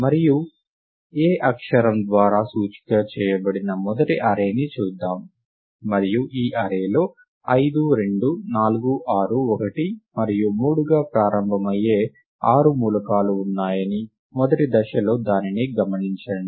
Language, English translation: Telugu, And let us look at the starting array, which is array indexed by the letter a and observe that, there are six elements in this array which are which start out as 5 2 4 6 1 and 3, observe that in the first step right